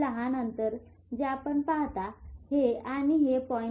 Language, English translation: Marathi, This small gap which you see this gap between this and this is 0